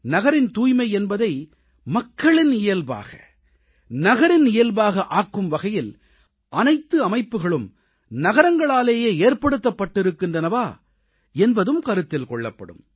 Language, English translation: Tamil, It will also be observed whether the cities have created a system wherein cleanliness of cities will became public habit, or the city's habit for that matter